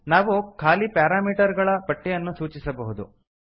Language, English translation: Kannada, We can specify an empty parameter list